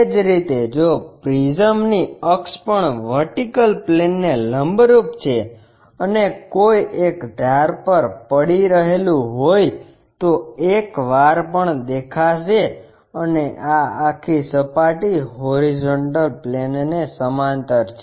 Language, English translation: Gujarati, Similarly, if prism is prism axis is perpendicular to vertical plane and resting on one of the edge and when we are looking at that this entire face is parallel to horizontal plane